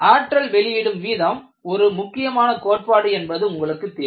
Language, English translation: Tamil, You know, the energy release rate is a very, very important concept